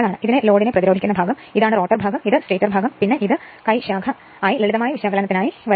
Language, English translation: Malayalam, This is load resistance part, this is rotor part, this is stator part, and this is hand branch part just for the your what you call simplicity simple calculation right